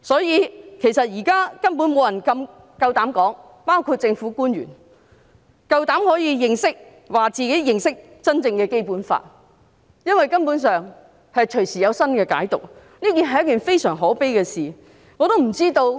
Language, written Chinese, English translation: Cantonese, 現在根本沒有人——包括政府官員——夠膽說認識真正的《基本法》，因為動輒會有新的解讀，這是一件非常可悲的事情。, At present no one public officers included dares say he or she understands the real meaning of the Basic Law since there can be new interpretations any time . This is really very sad and pathetic